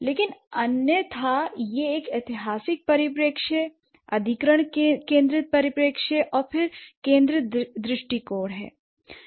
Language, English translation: Hindi, But otherwise it will be a historical perspective, acquisition centric perspective, and then the use centric perspective